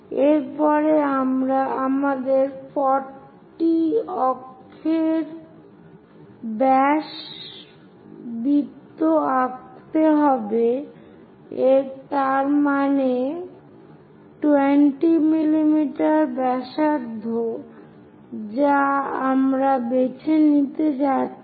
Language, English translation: Bengali, So, the center will be done, After that we have to draw 40 axis diameter circle, that means, 20 millimeters radius we are going to pick